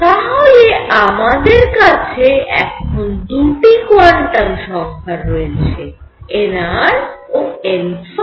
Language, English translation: Bengali, So, now, I have 2 quantum numbers n r and n phi